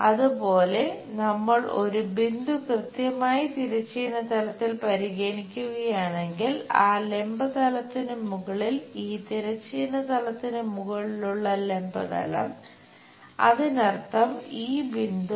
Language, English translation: Malayalam, Similarly, if we are looking a point precisely on the horizontal plane, above that vertical plane, on the vertical plane above horizontal plane; that means, this point